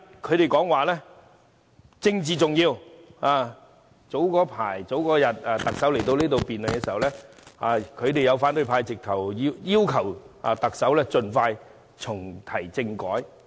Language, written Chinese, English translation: Cantonese, 他們經常說政治重要；在特首早前來到立法會出席答問會時，他們要求特首盡快重啟政改。, They often highlight the importance of politics; hence they asked the Chief Executive at the Question and Answer Session to reactivate the constitutional reform as soon as possible